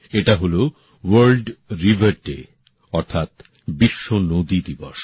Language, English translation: Bengali, That is World Rivers Day